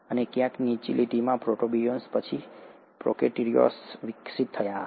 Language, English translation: Gujarati, And somewhere down the line, the protobionts would have then evolved into prokaryotes